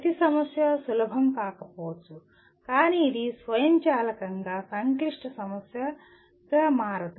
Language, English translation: Telugu, Every problem may not be easy but it does not become a complex problem automatically